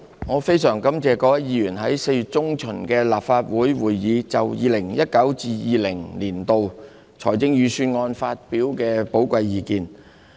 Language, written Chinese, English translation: Cantonese, 我非常感謝各位議員在4月中旬的立法會會議，就 2019-2020 年度財政預算案發表的寶貴意見。, I am very grateful to Members for their giving valuable views on the 2019 - 2020 Budget the Budget at the Legislative Council meeting in mid - April